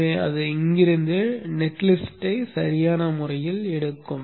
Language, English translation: Tamil, So it will appropriately take the net list from here